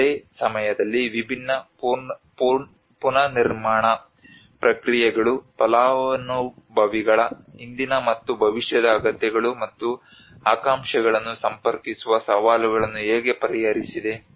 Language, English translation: Kannada, At the same time how different rebuilding processes have addressed the challenges to connect both past and future needs and aspirations of the beneficiaries